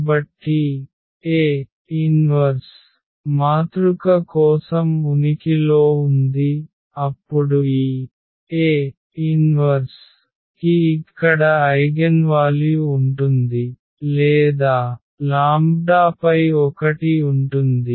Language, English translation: Telugu, So, if A inverse exists for a matrix, then this A inverse will have eigenvalue here or eigenvalues one over lambda